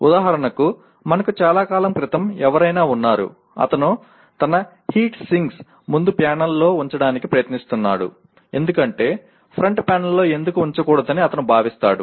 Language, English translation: Telugu, For example we had someone long back who is trying to put his heat sinks right on the front panel because he considers why not put it on the front panel